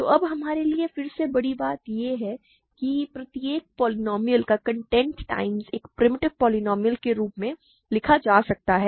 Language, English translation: Hindi, So, now, using again the big tool for us is that every polynomial can be written as a content times a primitive polynomial